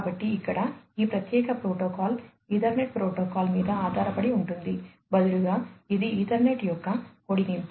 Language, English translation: Telugu, So, here this particular protocol is based on the Ethernet protocol; rather it is an extension of the Ethernet